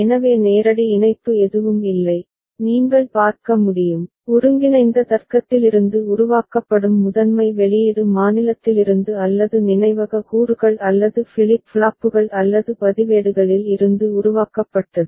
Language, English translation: Tamil, So there is no direct connection, you can see, the primary output that is generated from combinatorial logic is developed from the state or the memory elements or the flip flops or the registers ok